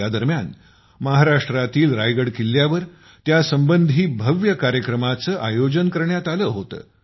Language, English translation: Marathi, During this, grand programs related to it were organized in Raigad Fort in Maharashtra